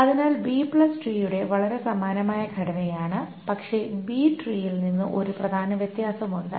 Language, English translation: Malayalam, So the B plus tree is a very similar structure but there is one important difference with the B plus tree